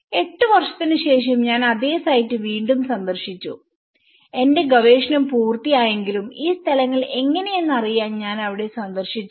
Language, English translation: Malayalam, I visited the same site again after eight years though, I finished my research I still visited these places how these things